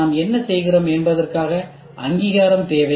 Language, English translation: Tamil, Need recognition what we do